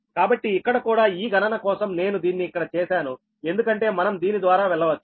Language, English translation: Telugu, so here also for this calculation i have made it here also, for we can go through this one also, right